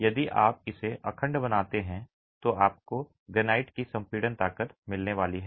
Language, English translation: Hindi, If you make it monolithic, you are going to get the granite compressive strength